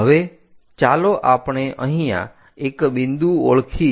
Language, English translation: Gujarati, Now, let us identify a point something here